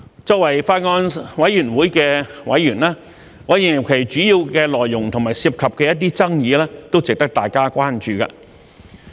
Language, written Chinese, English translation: Cantonese, 作為法案委員會的委員，我認為《條例草案》的主要內容和其涉及的一些爭議，都值得大家關注。, As a member of the Bills Committee I think the main content of the Bill and some of the controversies involved warrant our attention